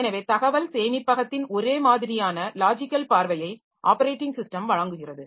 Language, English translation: Tamil, So, OS will provide a uniform logical view of information storage